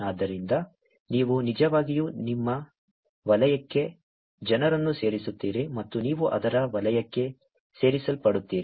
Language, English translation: Kannada, So, you actually add people into your circle and you get added to their circle